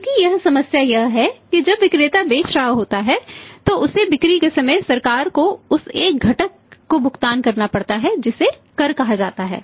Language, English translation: Hindi, Because here the problem is that you see that when the seller is selling he has to pay at the point of sales to the government one component that is called as a tax